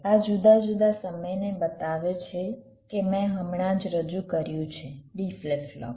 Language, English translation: Gujarati, this shows the different timing that i have just introduced: d flip flop